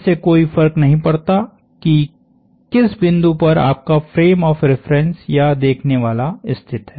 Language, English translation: Hindi, It does not matter which point is your frame of reference or the observer located on